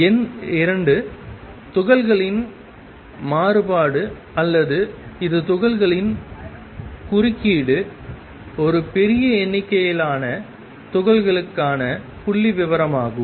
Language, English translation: Tamil, Number 2 diffraction of particles or this is same as interference of particles is statistical for a large number of particles